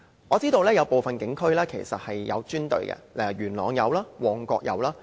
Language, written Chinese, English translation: Cantonese, 我知道部分警區其實設有專隊處理動物的案件，元朗有，旺角也有。, I know that some police districts have dedicated teams handling animal cases; both Mong Kok and Yuen Long are cases in point